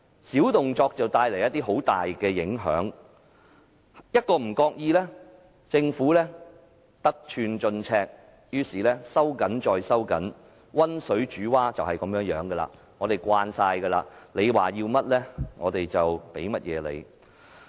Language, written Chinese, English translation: Cantonese, 小動作帶來大影響，一不小心政府便會得寸進尺，收緊再收緊，溫水煮蛙便是如此，我們早已習慣，他們要甚麼，我們便提供甚麼。, These little tricks bring about big effects however . If we do not stay alert the Government will go even further to contract our room as in the case of the anecdote about the boiling frog . Regrettably we all get used to this giving away whatever they want